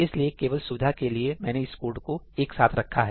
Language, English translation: Hindi, So, that is just for convenience that I put this code together